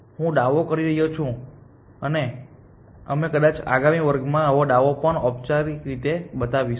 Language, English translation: Gujarati, And I making a claim and this claim we will show more formally probably in the next class